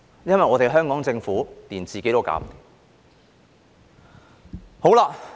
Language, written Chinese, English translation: Cantonese, 因為香港政府連自己也顧不來。, It is because the Hong Kong Government cannot even take care of itself